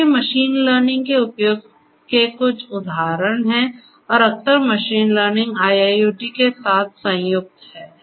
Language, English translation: Hindi, So, these are some of these examples of the use of machine learning and often machine learning combined with IIoT